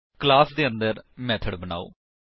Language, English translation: Punjabi, Inside the class, create a method